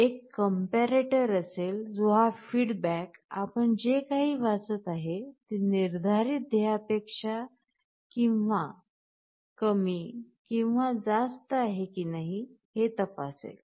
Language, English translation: Marathi, There will be a comparator, which will be checking whether this feedback, whatever you are reading is less than or greater than the set goal